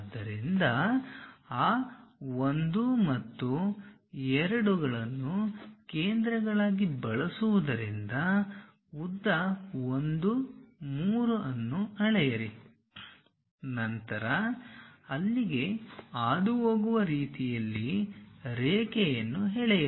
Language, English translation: Kannada, So, using those 1 and 2 as centers measure what is the length 1 3, then draw an arc all the way passing through there